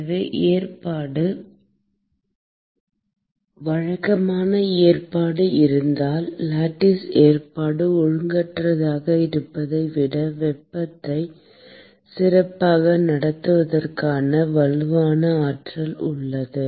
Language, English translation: Tamil, So, that is because the arrangement if there is regular arrangement, then there is a strong potential for conducting heat better than if there is lattice arrangement is irregular